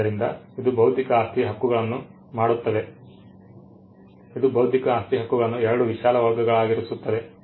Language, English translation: Kannada, So, this makes intellectual property rights, it puts intellectual property rights into 2 broad categories 1